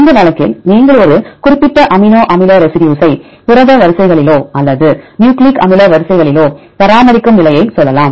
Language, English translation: Tamil, In this case you can say that position that maintains a particular amino acid residue right either in protein sequences or nucleic acid sequences